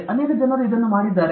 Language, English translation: Kannada, Many people have done that